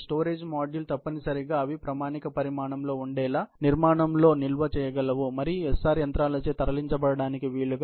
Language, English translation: Telugu, The storage modules must be designed so that, they are of standard size, capable of being stored in the structure and moved by the SR machines